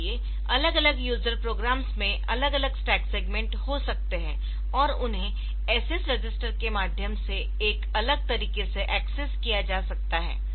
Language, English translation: Hindi, So, different user programs may have different stack segment, and they may be loaded, they may be accessed via the SS register in a different fashion